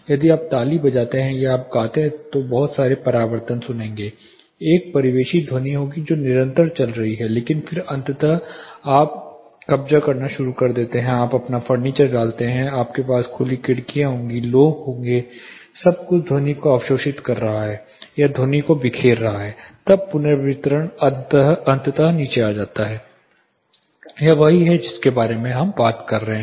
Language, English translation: Hindi, If you clap or if try and sing if you talk you will be hearing lot of reflections, there will be a ambient sound which is continuing which is not decaying out with close window, but then eventually you start occupying you put in your furniture’s, you have your open windows, people around everything is observing our scattering the sound, then the reverberation eventually comes down, this exactly what we are talking about